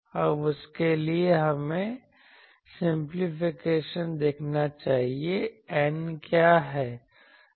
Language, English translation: Hindi, Now for that, let us see the simplification; what is N